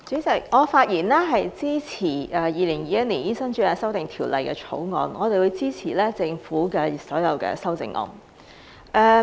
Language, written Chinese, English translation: Cantonese, 代理主席，我發言支持《2021年醫生註冊條例草案》，也會支持政府所有的修正案。, Deputy President I speak in support of the Medical Registration Amendment Bill 2021 the Bill and I will also support all the amendments proposed by the Government